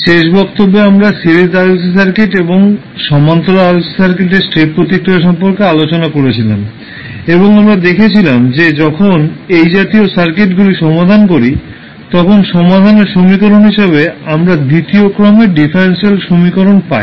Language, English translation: Bengali, So, in the last class we were discussing about the step response of series RLC circuit and the parallel RLC circuit and we saw that when we solve these type of circuits we get second order differential equation as a equation to solve